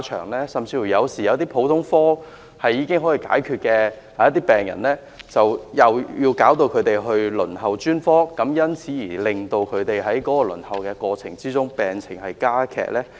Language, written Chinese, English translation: Cantonese, 或會否令一些普通科門診已可以處理的病人因轉為輪候專科診治而在輪候過程中令病情加劇呢？, Or will the health condition of those patients who can actually be treated at general outpatient clinics be aggravated while waiting for treatment as a result of their choosing to receive specialist services instead?